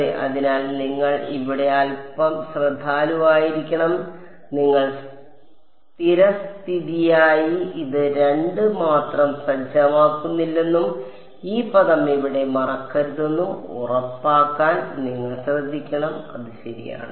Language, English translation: Malayalam, Yeah so, you have to be a little bit careful over here you should be careful to make sure that you do not by default set this just 2 and forget this term over here it matters ok